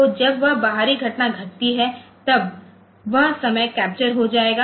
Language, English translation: Hindi, So, when that external event has occurred